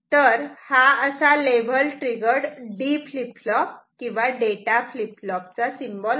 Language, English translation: Marathi, This is this symbol is for level triggered D flip flop or data flip flop